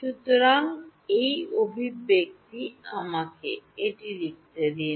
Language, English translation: Bengali, So, this expression let me write it